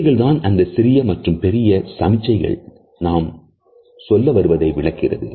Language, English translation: Tamil, These are those micro and macro signals which illustrate what we want to say